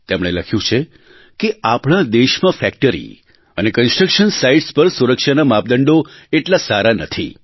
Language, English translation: Gujarati, He writes that in our country, safety standards at factories and construction sites are not upto the mark